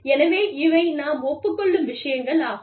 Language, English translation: Tamil, These are things, on which, we agree